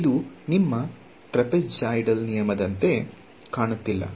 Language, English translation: Kannada, So, does not this look exactly like your trapezoidal rule right